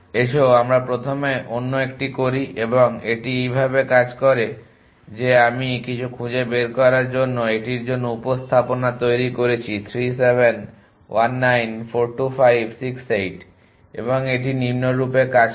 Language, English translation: Bengali, Let us do the other 1 first and this works as follows that I created representation for this to find something 3 7 1 9 4 2 5 6 8 and it work as follows